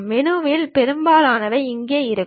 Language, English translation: Tamil, And most of the menu we will be having here